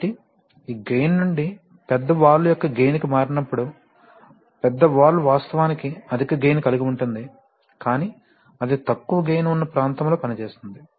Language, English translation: Telugu, So when you are switching on from this gain to the gain of the large valve, so the large valve actually has a high value of gain but it is operating in its low gain region